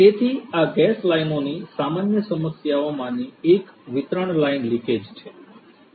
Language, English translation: Gujarati, So, one of the common problems with these gas lines the distribution lines is leakage